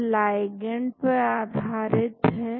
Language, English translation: Hindi, It is ligand based